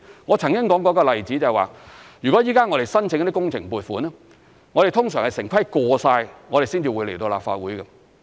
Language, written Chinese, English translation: Cantonese, 我曾經說過一個例子，如果現在我們申請工程撥款，通常是城規會通過了，才會來到立法會。, I have previously cited the following example . It is our usual practice to obtain approval from the Town Planning Board before seeking funding approval for a project